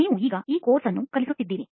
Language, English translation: Kannada, You are supposed to be teaching this course now